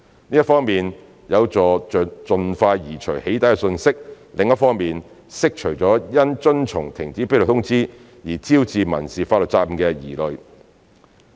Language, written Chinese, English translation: Cantonese, 這一方面有助盡快移除"起底"訊息，另一方面釋除因遵從停止披露通知而招致民事法律責任的疑慮。, This will help to remove the doxxing message as soon as possible and address any concerns about civil liability arising from compliance with the cessation notice